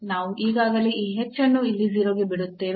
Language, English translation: Kannada, So, this we already let this h to 0 here